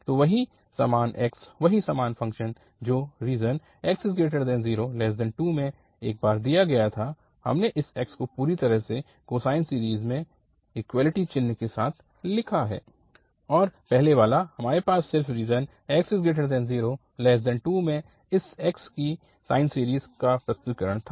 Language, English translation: Hindi, So the same x, the same function which was given in the region 0 to 2, at once we have purely the cosine series and now the earlier one we had just the sine series representation of this cos x for this x and now we have written this x with the equality sign, with the equality sign in the region this 0 to 2